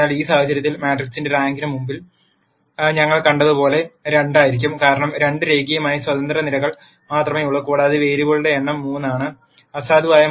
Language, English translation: Malayalam, So, in this case as we saw before the rank of the matrix would be 2 because there are only two linearly independent columns and since the number of variables is equal to 3, nullity will be 3 minus 2 equal to 1